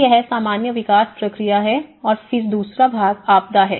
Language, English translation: Hindi, So that is the usual development process and then the second part is the disaster